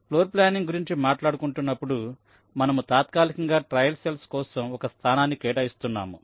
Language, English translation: Telugu, so when we talk about floorplanning you are tentatively assigning a location for this cells